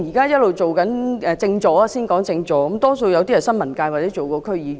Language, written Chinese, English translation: Cantonese, 現任政治助理多數來自新聞界或曾任區議員。, Most incumbent Political Assistants came from the press or are former District Council members